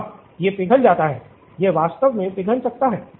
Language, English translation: Hindi, Yes, it melts, it can actually melt